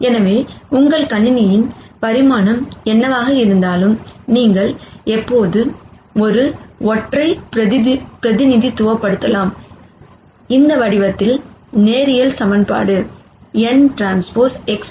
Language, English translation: Tamil, So, irrespective of what ever is the dimension of your system, you can always represent a single linear equation in this form n transpose X plus b equals 0